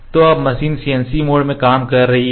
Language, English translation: Hindi, So, now, the machine is working in the CNC mode